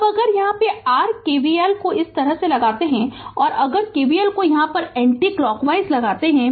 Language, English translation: Hindi, Now if you apply your KVL here like this, if you apply KVL here right anticlockwise